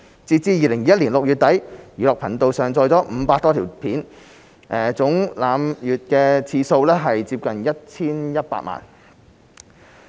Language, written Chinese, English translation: Cantonese, 截至2021年6月底，"寓樂頻道"上載了500多條影片，總瀏覽次數接近 1,100 萬。, As at the end of June 2021 nearly 500 videos were uploaded to the Edutainment Channel with about 11 million page views in total